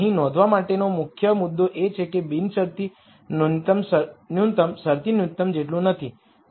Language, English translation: Gujarati, The key point to notice here is that the unconstrained minimum is not the same as the constraint minimum